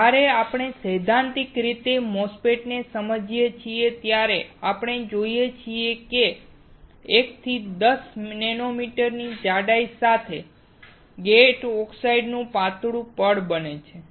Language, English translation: Gujarati, When we theoretically understand MOSFET, we see there is a thin layer of gate oxide with thickness of 1 to 10 nanometer